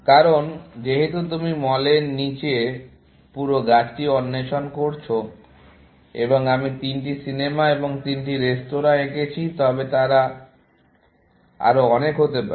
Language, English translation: Bengali, Because you explored the entire tree below mall, and I have drawn three movies and three restaurants; they could have been many more, essentially